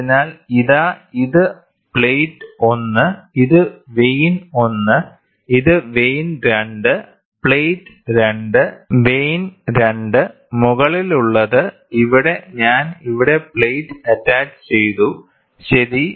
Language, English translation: Malayalam, So, here is this is plate 1, this is vane 1 and this is vane 2, plate 2, plate 2, vane 2, the top one, and here I attached plate here and plate here, ok